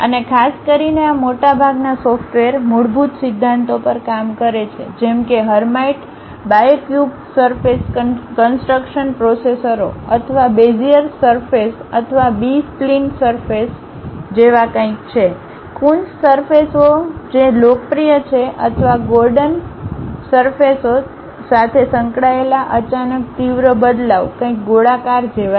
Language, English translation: Gujarati, And, especially most of these softwares work on basic principles like maybe going with hermite bicubic surface construction processors or Beziers surfaces or B spline surfaces something like, Coons surfaces which are popular or Gordon surfaces sudden sharp changes associated with surfaces, something like rounding of surfaces like fillet surfaces, something like chopping off these materials named offset surfaces